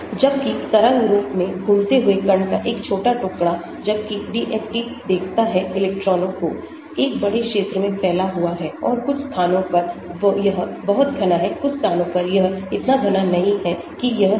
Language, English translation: Hindi, Whereas a small piece of particle moving in wave form, whereas DFT looks at electrons is a spread out into big area and in some places it is very dense, in some places it is not so dense that is it